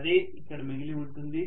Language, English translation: Telugu, That is what is remaining